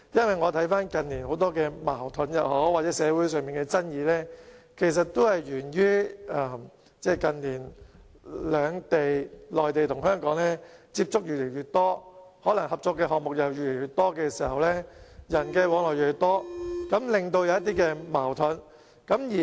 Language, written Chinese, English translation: Cantonese, 回看近年很多矛盾或社會上的爭議，其實都源於內地與香港的接觸越來越多，合作的項目越來越多，人的往來亦越來越多，繼而出現一些矛盾。, In retrospect the many conflicts or social controversies that we have seen in recent years are actually due to increasingly frequent contacts between the Mainland and Hong Kong and with more and more cooperative projects as well as more and more people travelling between the two places some conflicts have therefore arisen